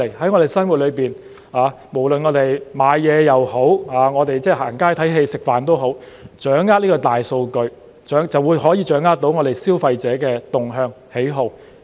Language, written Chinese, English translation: Cantonese, 在我們的生活，無論購物也好，逛街、看戲、吃飯也好，掌握大數據就可以掌握消費者的動向、喜好。, In our daily lives whether we go shopping walk along the street watch films or go dining once you have grasped the big data in relation to these activities you can grasp consumer behaviour and preferences